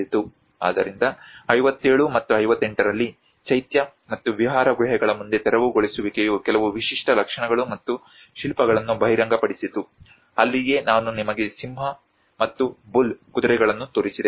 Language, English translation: Kannada, So, in 57 and 58, clearance in front of the Chaitya and Vihara caves reveal some unique features and sculptures that is where I showed you the lion and bull, the horses